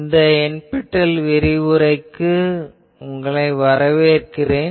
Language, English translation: Tamil, Welcome to this NPTL lecture